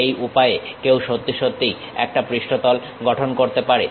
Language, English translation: Bengali, This is the way one can really construct a surface